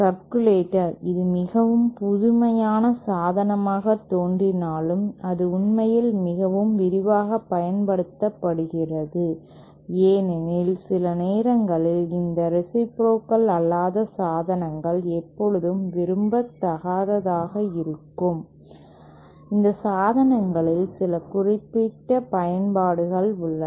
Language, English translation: Tamil, Circulator, even though it might appear to be a very novel device, it is actually quite extensively used because sometimes, it is not that these nonreciprocal devices are always undesirable, there are some very specific uses of these devices